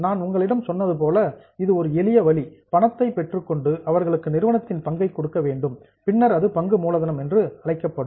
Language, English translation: Tamil, As I told you one simple way is take money, give them share, then it will go in item A, that is known as share capital